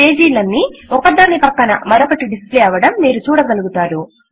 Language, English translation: Telugu, You see that the pages are displayed in side by side manner